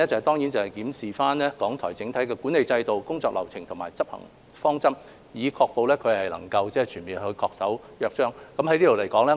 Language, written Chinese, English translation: Cantonese, 第三，檢視港台的整體管理制度、工作流程和執行方式，確保港台全面恪守《香港電台約章》。, 71 . Third to review RTHKs overall management systems processes and practices to ensure its full compliance with the Charter of Radio Television Hong Kong